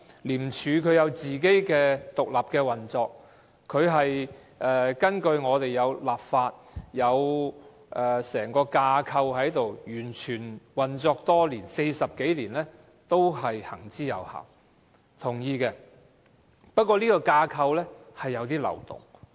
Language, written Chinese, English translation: Cantonese, 廉署有自己獨立的運作，它是根據法例而成立，有整個架構，運作多年 ，40 多年都行之有效，我是同意的，但這架構有漏洞。, It was established under the law with an organizational structure of its own . It has been functioning effectively for over 40 years . I agree to all these but this structure is marked by one loophole as mentioned by many colleagues earlier